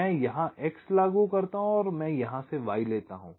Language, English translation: Hindi, i apply x here and i take y from here